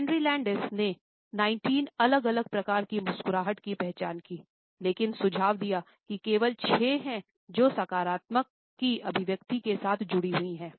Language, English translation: Hindi, Carney Landis identified 19 different types of a smiles, but suggested that only six are associated with the expression of positivity